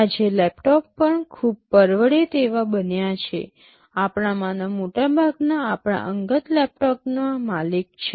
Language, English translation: Gujarati, Today laptops have become very much affordable, most of us own our personal laptops